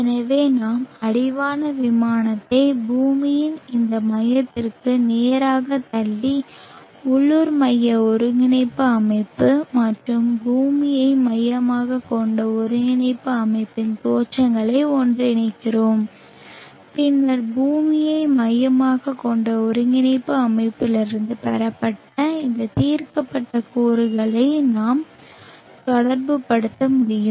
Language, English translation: Tamil, so in addition to the insulation lines being parallel they can be merged so which means we push the horizon plane straight down to this center of the earth and merge the origins of the local centric coordinate system and the earth centric coordinate system then we will able to relate these resolved components obtain from the earth centric coordinate system with the resolved components of the local centric coordinate system and make the relationship